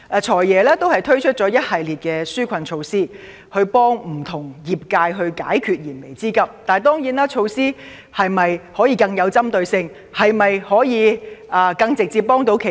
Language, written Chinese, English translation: Cantonese, "財爺"已推出了一系列紓困措施去協助不同界別解決燃眉之急，但當然，措施是否應該更具針對性，更能直接幫助企業？, The Financial Secretary has introduced a series of relief measures to address the pressing needs of various industries . But of course should the measures be more targeted and provide more direct help to enterprises?